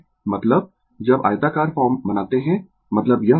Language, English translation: Hindi, I mean when you make the rectangular form, I mean this form, right